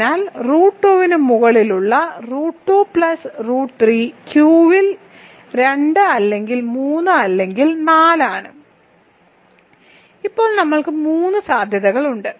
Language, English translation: Malayalam, So that means, degree of root 2 over root 2 plus root 3 over Q is 2 or 3 or 4 as of now we have three possibilities